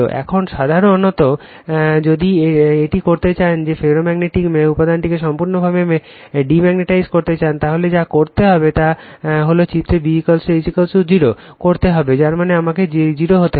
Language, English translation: Bengali, Now, generally if you want to make that your what will if you want to completely demagnetize the ferromagnetic material, what you have to do is before going to the figure, you have to make B is equal to H is equal to 0 that means, I has to be 0